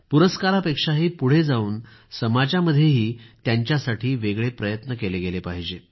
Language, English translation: Marathi, Beyond awards, there should be some more efforts from our society in acknowledging their contribution